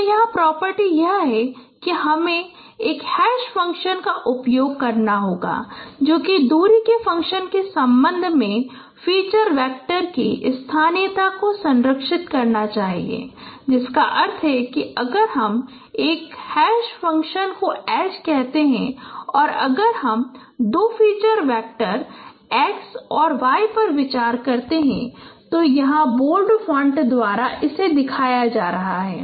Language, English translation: Hindi, So the property here is that you have to use an hash function which should preserve the locality of feature vectors with respect to distance function which means that if I consider a hash function say H and if I consider two feature vectors X and Y which are being shown here by bold fonts